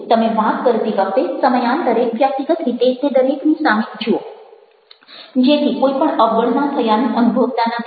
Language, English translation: Gujarati, look at each one of them individually when you are talking periodically, so that nobody feels neglected